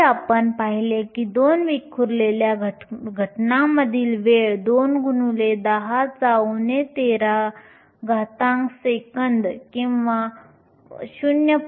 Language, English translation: Marathi, Earlier we saw that the time between two scattering events was 2 times 10 to the minus 13 seconds or 0